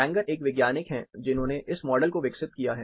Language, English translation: Hindi, Fanger is a scientist who developed this model